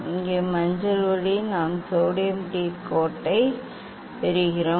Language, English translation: Tamil, here yellow light we are getting sodium D line